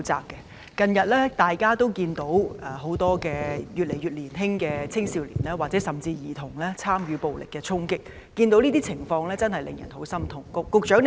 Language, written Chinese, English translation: Cantonese, 大家近日均可看到，有年紀越來越小的青少年甚至是兒童參與暴力衝擊，這情況實令人感到極之痛心。, Recently we can see youngsters and even children who are of a younger age take part in violent attacks and the situation is really heartbreaking